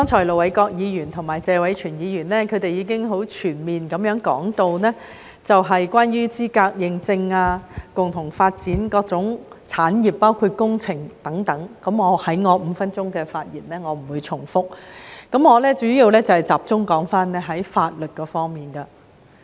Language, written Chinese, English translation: Cantonese, 盧偉國議員和謝偉銓議員剛才已全面地講述資格認證、共同發展各種產業等方面，我不會在我的5分鐘發言中重複，我主要集中談論法律方面。, Just now Ir Dr LO Wai - kwok and Mr Tony TSE have spoken comprehensively on such topics as qualification accreditation and joint development of various industries including engineering . I will not repeat them in my five - minute speech . Instead I will mainly focus on the legal aspects